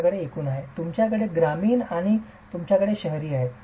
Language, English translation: Marathi, You have total, you have rural and you have urban